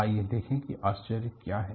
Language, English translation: Hindi, Let us see what the surprise was